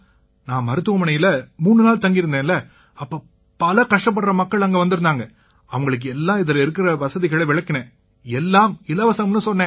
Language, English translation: Tamil, I stayed there for three days in the hospital, Sir, so many poor people came to the hospital and told them about all the facilities ; if there is a card, it will be done for free